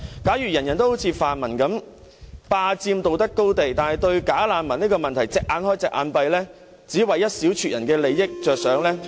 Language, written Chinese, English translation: Cantonese, 假如每個人都好像泛民一樣，霸佔道德高地，但對"假難民"的問題"隻眼開，隻眼閉"，只為一小撮人的利益着想......, If everyone is like the pan - democrats who have seized the moral high ground but are unduly lenient in dealing with the problem of bogus refugees focusing only on the interests of a small handful of people